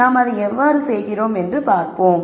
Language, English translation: Tamil, So, let us see how we do that